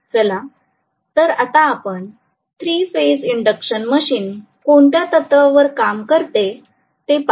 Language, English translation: Marathi, Let us now go over to the principle of operation of the 3 phase induction machine